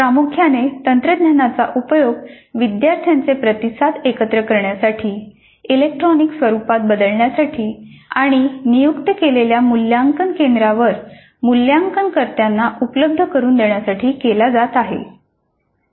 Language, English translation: Marathi, So primarily the technology is being used to gather the student responses turn them into electronic form and make them available to the evaluators at designated evaluation centers